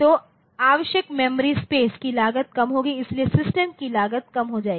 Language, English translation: Hindi, So, cost of the memory space required will be less, so, the cost of the system will come down